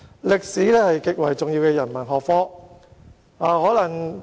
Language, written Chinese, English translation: Cantonese, 歷史是極為重要的人文學科。, History is an extremely important humanities subject